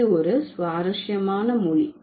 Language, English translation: Tamil, This is an interesting language